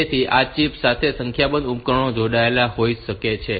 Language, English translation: Gujarati, So, a number of devices may be connected to this chip